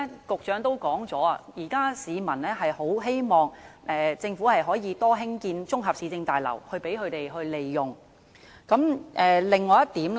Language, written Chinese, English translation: Cantonese, 局長剛才也提到，市民希望政府多興建綜合市政大樓供他們使用。, The Secretary has also mentioned earlier that members of the public hope that the Government would build more municipal complexes for their use